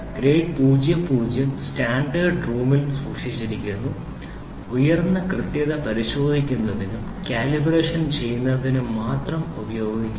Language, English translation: Malayalam, Grade 00 is kept in the standards room and is used for inspection and calibration of high precision only